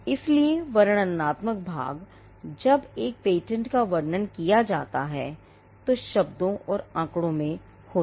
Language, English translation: Hindi, So, the descriptive part, when a patent is described would be in words and figures